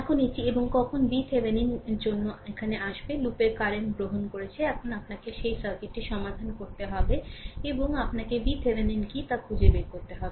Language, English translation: Bengali, Now, let me clear it and when we will come here for V Thevenin, we have taken the loop current right and you have to find out what you have to solve this circuit and you have to find out what is your V Thevenin